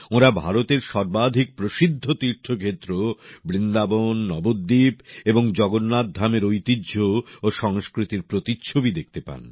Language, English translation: Bengali, They get to see glimpses of the most famous pilgrimage centres of India the traditions and culture of Vrindavan, Navaadweep and Jagannathpuri